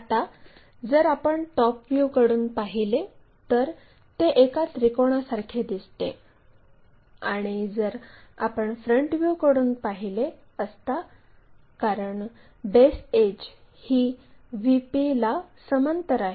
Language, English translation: Marathi, Now, if we are looking from top view, it looks like a triangle and if we are looking from a front view because one of the edge is parallel